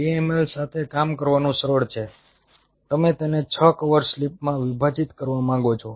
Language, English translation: Gujarati, say, two ml you want to split it up into six cover slips